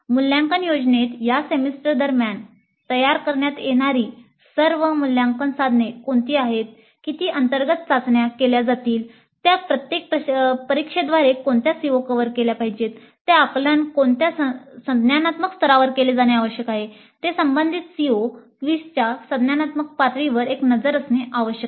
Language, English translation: Marathi, So the assessment plan must include which are all the assessment instruments that are to be created during that semester, how many internal tests when they have to be scheduled, which are the COs to be covered by each test at what level, at what cognitive level the assessment items must be there vis a vis the cognitive levels of the related COs